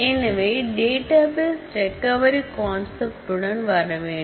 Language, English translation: Tamil, So, a database system has to come with the concept of recovery